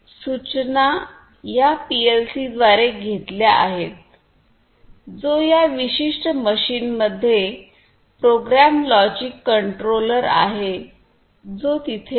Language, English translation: Marathi, The, the instructions are taken through the PLC which is in this particular machine the programmable logic controller which is there